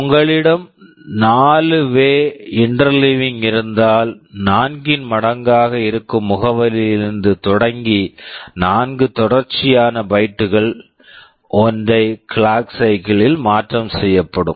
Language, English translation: Tamil, If you have 4 way interleaving, then 4 consecutive bytes starting from an address that is a multiple of 4 can be transferred in a single clock cycle